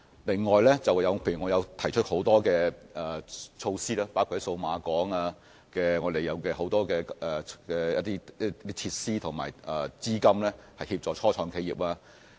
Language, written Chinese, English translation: Cantonese, 此外，還有我剛才提及的很多措施，包括數碼港的很多設施，以及政府提供的資金，可協助初創企業。, Moreover many other initiatives mentioned by me just now including a number of facilities in Cyberport and funding provided by the Government are available to assist start - ups